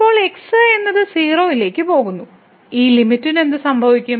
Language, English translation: Malayalam, So, now, we can take that goes to , what will happen to this limit